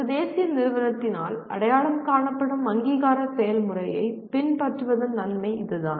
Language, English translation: Tamil, That is the advantage of following an accreditation process identified by a national agency